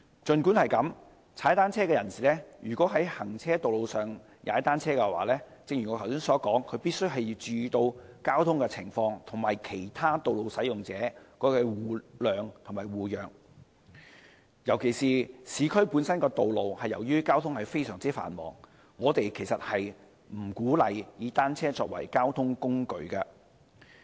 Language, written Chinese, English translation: Cantonese, 儘管如此，騎單車人士如在行車道上騎單車——正如我剛才所說——必須注意交通情況，與其他道路使用者互諒互讓，尤其是市區道路，由於交通非常繁忙，我們不鼓勵以單車作為交通工具。, That said if cyclists ride on carriageways―as I said just now―they must pay attention to traffic conditions and develop mutual understanding and respect with other road users . Particularly on urban roads given the high traffic volume we do not encourage the use of bicycles as a mode of transport